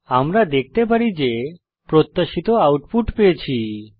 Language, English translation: Bengali, As we can see, the output is as expected